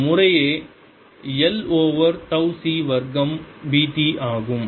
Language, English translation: Tamil, so b one t is l over tau c square p t